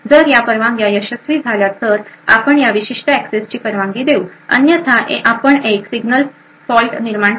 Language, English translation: Marathi, If these permissions are successful, then you allow this particular access else we will create a signal fault